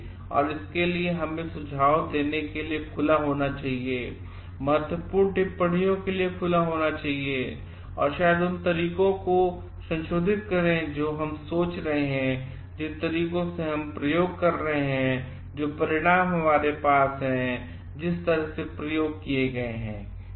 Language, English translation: Hindi, And, for that we should be open to suggestion, open to critical comments to maybe modify the ways that we are thinking, the ways that we are doing the experiments, the outcomes that you are having, the way that the experiments are designed